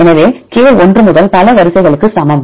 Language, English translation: Tamil, So, the k equal to one to number of sequences